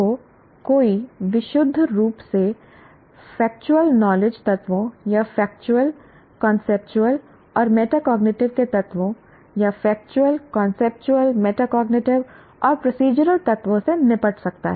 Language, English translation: Hindi, So, one may be dealing with purely factual knowledge elements or factual, conceptual, and metacognitive elements, or factual, conceptual, procedural and metacognitive elements